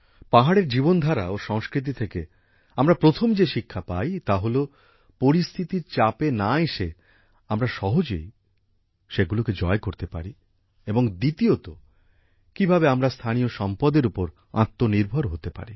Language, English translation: Bengali, The first lesson we get from the lifestyle and culture of the hills is that if we do not come under the pressure of circumstances, we can easily overcome them, and secondly, how we can become selfsufficient with local resources